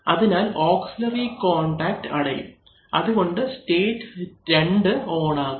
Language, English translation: Malayalam, So therefore, this auxiliary contact will be closed, so therefore now state 2 will be on